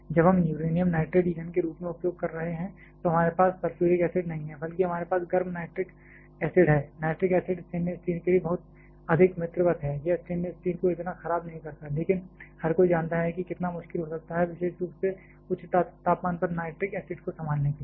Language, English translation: Hindi, When we are using on the uranium nitrate as the fuel then we do not have sulphuric acid rather we have hot nitric acid, nitric acid is much friendlier to stainless steel it does not corrode stainless steel that much, but everyone knows how difficult it can be to handle nitric acid particularly at higher temperature